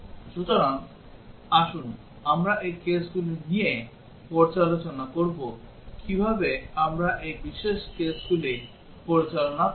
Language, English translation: Bengali, So, let us discuss these cases, how do we handle these special cases